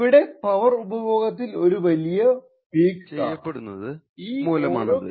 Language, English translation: Malayalam, So, we see a high peak in power consumed over here due to the charging of the capacitor in each of these cases